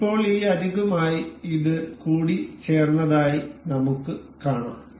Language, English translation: Malayalam, So, now, we can see this is mated with aligned with this edge